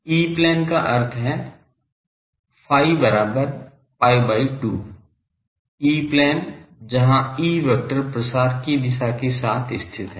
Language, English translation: Hindi, E plane means phi is equal to pi by 2, E plane, where the E vector lies with the propagation direction